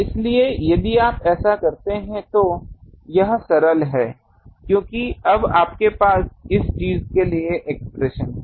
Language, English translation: Hindi, So, these, if you do this is simple because you now have the expression for this thing